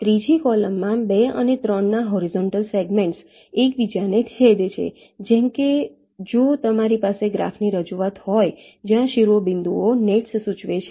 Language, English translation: Gujarati, in the third column, the horizontal segments of two and three are intersecting, like if you have a graph representation where the vertices indicate the nets